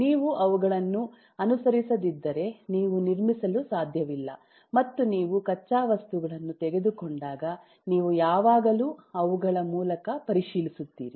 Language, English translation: Kannada, unless you adhere to those you cannot construct and therefore when you take raw materials you will always check against those